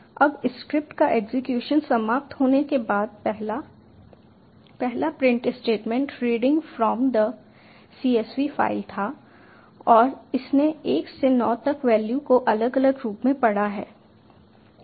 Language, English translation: Hindi, i will try reading from that file now the first, after the script has finished executing, the first print statement was reading from the csv file and it has read the values individually like one to nine